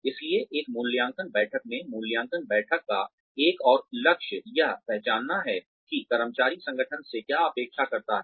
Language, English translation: Hindi, So, in an appraisal meeting, one more goal of an appraisal meeting, is to identify, what the employee expects of the organization